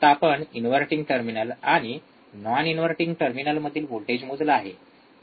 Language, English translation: Marathi, Now we are measuring the voltage at inverting terminal, then we will measure the voltage at non inverting